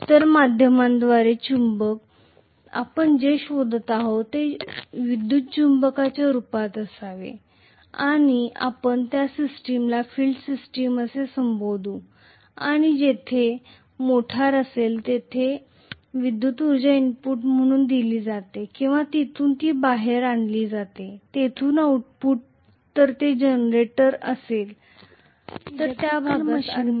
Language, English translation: Marathi, So the magnetic via media, what we are actually looking for should be in the form of an electromagnet and we call that system as field system and where the electrical energy is given as input if is a motor or from where it is taken out as the output if it is a generator we call that portion as armature